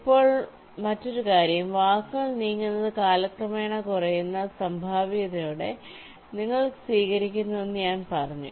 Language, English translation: Malayalam, ok, now the another thing is that i said that you accept the words moves with the probability that decreases with time